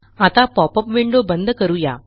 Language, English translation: Marathi, Let us now Close the popup window